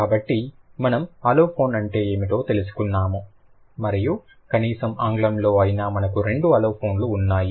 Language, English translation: Telugu, So, we got to know what an allophone is and in at least in English we have a couple of aliphons